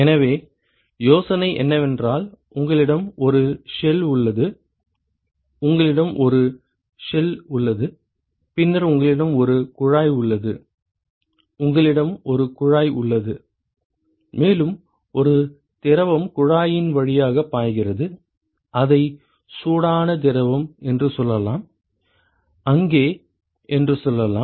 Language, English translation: Tamil, So, the idea is you have a shell, you have a shell and then you have a tube you have a tube and there is one fluid which is flowing through the tube, let us say it is the hot fluid and let us say that there is another fluid which is let us say cold fluid, which is flowing through the shell ok